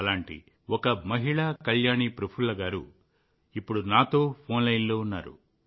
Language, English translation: Telugu, One such lady, Kalyani Prafulla Patil ji is on the phone line with me